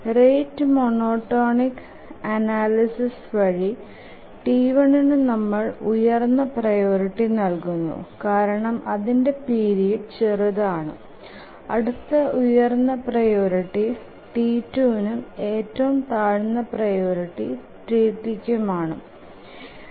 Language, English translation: Malayalam, By the rate monotonic analysis we have to give the highest priority to T1 because its period is the shortest, next highest priority to T2 and T3 is the lowest priority